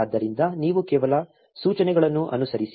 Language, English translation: Kannada, So, you simply follow the instructions